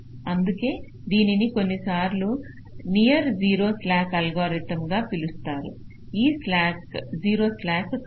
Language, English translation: Telugu, that's why it is sometimes called near to zero slack algorithm, not exactly zero slack